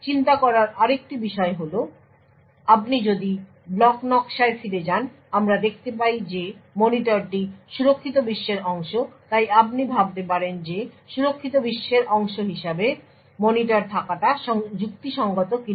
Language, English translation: Bengali, Another thing to think about is if you go back to the block diagram we see that the monitor is part of the secure world so could you think about what is the rational for having the monitor as part of the secure world